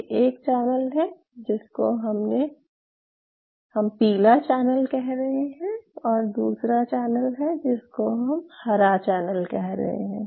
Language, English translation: Hindi, So, this is one channel which I call this as a yellow channel and there is another channel, which we call this as a green channel